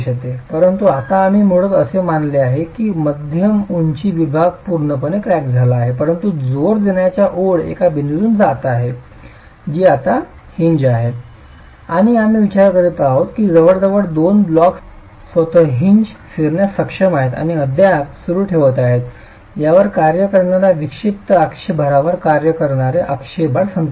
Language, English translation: Marathi, At the mid height the section is completely cracked but the line of thrust is passing through a point which is now the hinge and we are considering that almost two blocks are capable of rotating about the hinge itself and still continue to equilibrate the axle load that is acting on the eccentric axle load that is acting on it